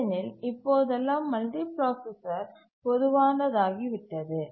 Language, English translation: Tamil, Because nowadays the multiprocessors have become commonplace